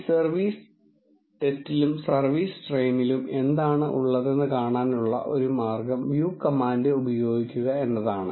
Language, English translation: Malayalam, One way to see what is there in this service test and service train is to use the view command